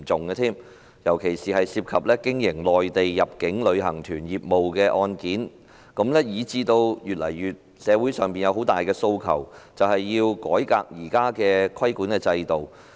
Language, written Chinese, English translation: Cantonese, 有些案件涉及經營內地入境旅行團業務，以致社會上有越來越大的訴求，要求改革現行的規管制度。, Given that some cases involved the operation of Mainland inbound tour groups the request to reform the existing regulatory regime has become stronger and stronger in society